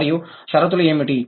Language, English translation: Telugu, And what are the conditions